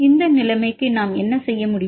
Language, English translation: Tamil, For this situation what can we do